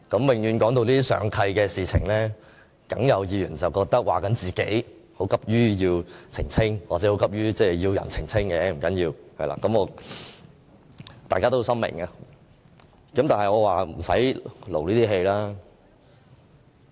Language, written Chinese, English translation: Cantonese, 每當談到上契的事情，一定會有議員認為是在說自己，要急於澄清或急於要人澄清，不要緊，大家是心知肚明的。, They will then be too eager to clarify or seek clarification from others . It does not matter . The truth is just obvious to all